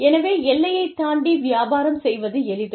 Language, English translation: Tamil, So, it is easier to do business, across the border